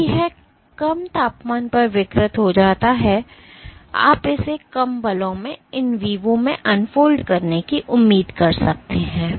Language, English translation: Hindi, So, because it gets denatured at the lower temperature you can expect it to unfold in vivo at lower forces